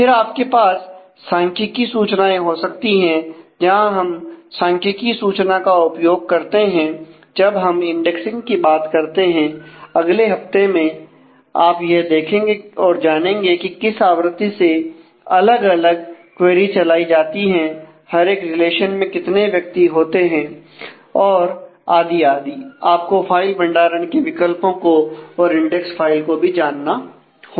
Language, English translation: Hindi, Then you may have statistical information, where you would like to; we will see the use of statistical information when we talk about indexing in the following week you will see that you need to know, what is the you know how frequently the different queries are fired, what are the number of peoples in each relation and so, on; you may also need to have information in terms of what has been your choices in terms of the physical locations of file the storage options and so on the index files